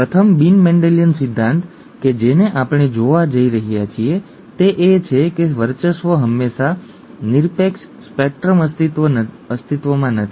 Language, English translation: Gujarati, The first non Mendelian principle that we are going to look at is that dominance is not always, excuse me, absolute, a spectrum exists